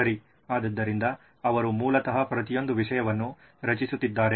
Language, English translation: Kannada, Okay so he is basically creating for each subject